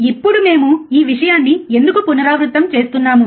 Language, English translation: Telugu, Now, why we are kind of repeating this thing